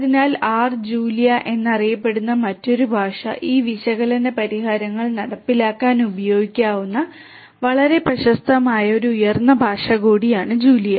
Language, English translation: Malayalam, So R and another language which is known as Julia, Julia is also a very popular high level language which could be used for implementing these analytics solutions